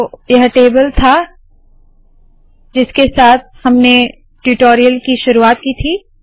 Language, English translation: Hindi, So this was the table that we started with at the beginning of this tutorial